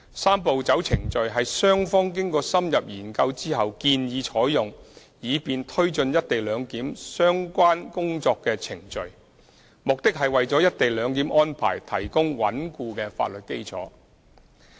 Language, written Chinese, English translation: Cantonese, "三步走"程序是雙方經過深入研究後建議採用以便推展"一地兩檢"相關工作的程序，目的是為"一地兩檢"安排提供穩固的法律基礎。, The Three - step Process was proposed by the two sides in taking forward the work relating to the co - location arrangement following in - depth study with a view to providing a sound legal basis for the co - location arrangement